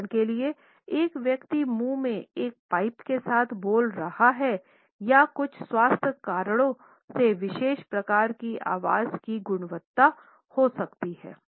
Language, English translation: Hindi, For example, an individual might be speaking with a pipe in mouth or there may be certain health reasons for a particular type of voice quality